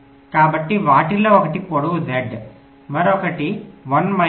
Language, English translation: Telugu, so the length of one of them is z, other is one minus z